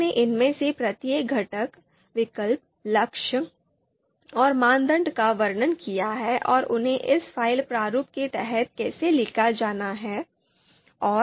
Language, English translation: Hindi, They have described each of these you know components, alternatives, goal and criteria how they are to be written under this file format